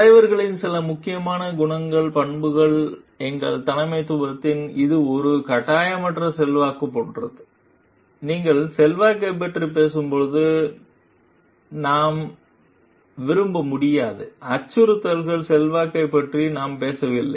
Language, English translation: Tamil, Some important qualities characteristics of leaders are our leadership our like it is a non coercive influence, we cannot like when you are talking of influence, we are not talking of influence by threat